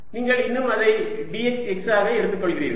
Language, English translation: Tamil, you still take it to be d x x